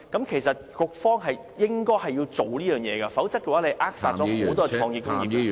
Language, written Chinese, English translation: Cantonese, 其實，局長是應該做好這件事情，否則便會扼殺很多創意工業......, Actually the Secretary should get this properly dealt with; otherwise the development of many creative operations will be strangled